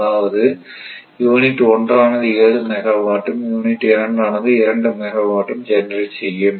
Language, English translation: Tamil, This is unit 2 is 2 megawatt unit1 is generating 7 megawatt, right